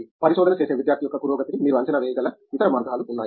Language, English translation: Telugu, Are there any other ways in which you feel you can gage the progress of a research student